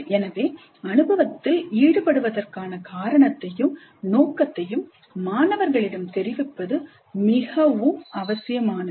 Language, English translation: Tamil, So it is necessary to communicate the reason for and purpose of engaging in the experience